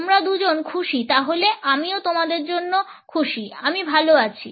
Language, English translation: Bengali, You two are happy then I am happy for you I am fine